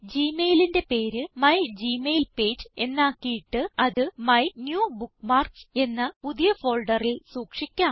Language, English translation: Malayalam, Lets change the name of gmail to mygmailpage and store it in a new folder named MyNewBookmarks